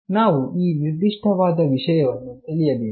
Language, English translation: Kannada, We must understand this particular thing